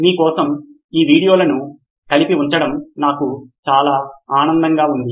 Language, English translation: Telugu, I had a lot of fun putting these videos together for you